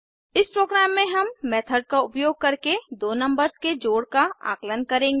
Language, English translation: Hindi, In this program we will calculate the sum of two numbers using method